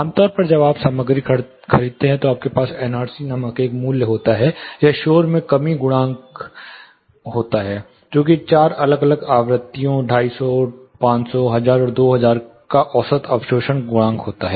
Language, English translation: Hindi, Commonly when you buy a material you have a value called NRC, or noise reduction coefficient which is nothing, but an average absorption coefficient of four different frequencies, 250,500,1000 and 2000